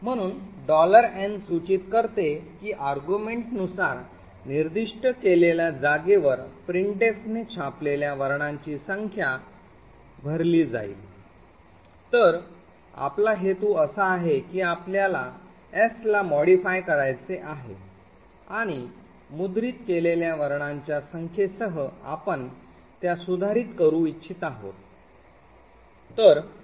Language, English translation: Marathi, So the $n indicates that at the location specified by an argument the number of characters that printf has printed would be filled, so what we do intend to do is that we want to modify s with the number of characters that has been printed